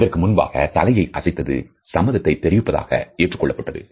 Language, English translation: Tamil, Earlier it was thought that nodding a head is a universal gesture of agreement